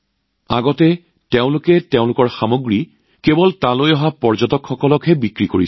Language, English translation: Assamese, Earlier they used to sell their products only to the tourists coming there